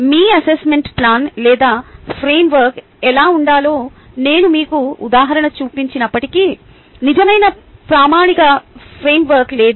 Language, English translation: Telugu, even though i have shown you an example of how your assessment plan or framework should look like, there is no real standard framework